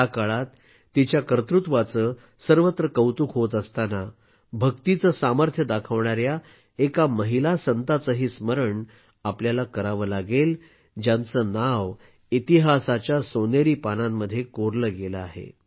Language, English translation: Marathi, In this era, when their achievements are being appreciated everywhere, we also have to remember a woman saint who showed the power of Bhakti, whose name is recorded in the golden annals of history